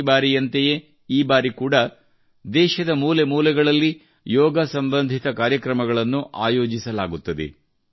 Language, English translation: Kannada, Like every time, this time too programs related to yoga will be organized in every corner of the country